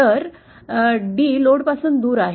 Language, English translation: Marathi, So d is away from the load